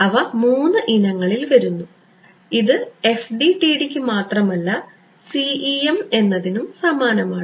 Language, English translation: Malayalam, They come in three varieties and this is true of CEM not just FDTD ok